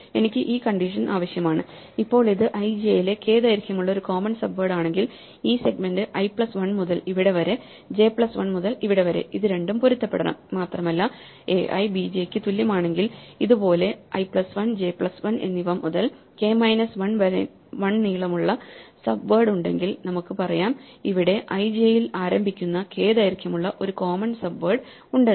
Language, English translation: Malayalam, So, I need this condition and now if this is a commons subword of length k at i j then what remains of subword namely this segment from i plus 1 to this and j plus 1 to this must also match and they must be in turn be a k minus 1 length subword from here to there